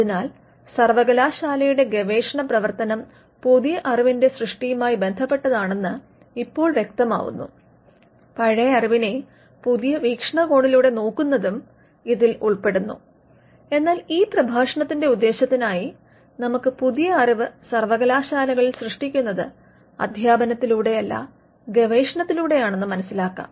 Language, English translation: Malayalam, So, now it becomes clear that the research function of the university deals with creation of new knowledge, it also involves looking at old knowledge in with new perspective, but let us for the purpose of this lecture; let us understand that new knowledge is created in universities not through teaching, but through research